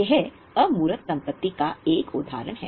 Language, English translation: Hindi, That is an example of intangible asset